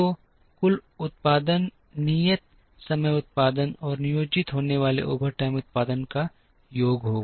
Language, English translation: Hindi, So, the total production will be the sum of the regular time production that is planned, and the overtime production that is planned